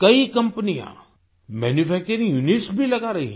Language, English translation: Hindi, Many companies are also setting up manufacturing units